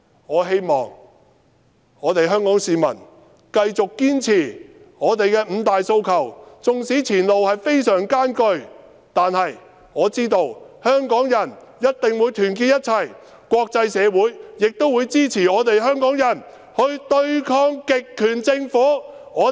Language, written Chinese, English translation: Cantonese, 我希望香港市民繼續堅持五大訴求，縱使前路非常艱難，但我知道香港人一定會團結一致，而國際社會亦會支持香港人對抗極權政府。, I hope that the people of Hong Kong will continue to insist on pursuing the five demands . I know that Hongkongers will stay united even though the road ahead is extremely rough whereas the international community will also support Hongkongers to resist a totalitarian government